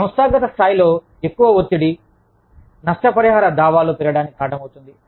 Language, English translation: Telugu, At the organizational level, too much of stress, could result in, increased compensation claims